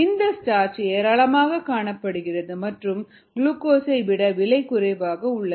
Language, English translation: Tamil, starch is found in abundance and therefore it is less expensive